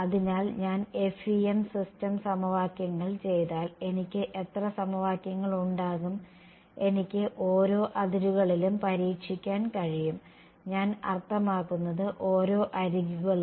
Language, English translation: Malayalam, So, if I just do the FEM system of equations I will have how many equations; I can test along each of the boundaries I mean each of the edges